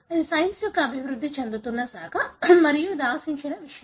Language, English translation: Telugu, This is an evolving branch of science and this is something expected